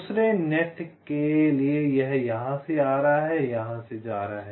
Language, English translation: Hindi, for the second net, it is coming from here, it is going here